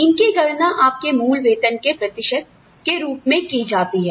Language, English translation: Hindi, These are calculated, as a percentage of your basic pay